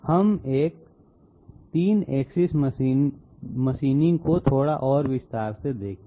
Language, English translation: Hindi, Now let us look at 3 axis machining in a little more detail